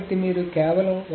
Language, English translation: Telugu, So you simply ignore